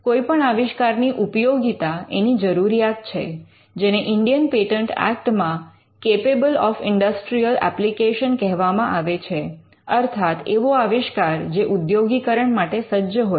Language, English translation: Gujarati, The utility or what we call the usefulness of an invention is a requirement, which is referred in the Indian patents act as capable of industrial application, that the invention should be capable of industrial application